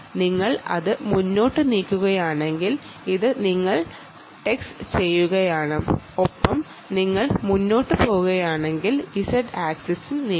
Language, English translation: Malayalam, and if you move forward with it that is, you are texting and you are moving forward with it z axis will move